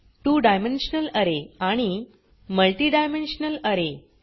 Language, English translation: Marathi, Two dimensional array and Multi dimensional array